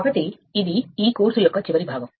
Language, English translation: Telugu, Ok so this is that last part of this course right